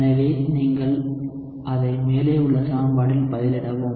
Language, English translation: Tamil, So, you plug it into the equation above